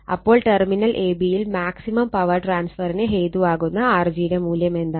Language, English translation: Malayalam, Then what value of R g results in maximum power transfer across the terminal ab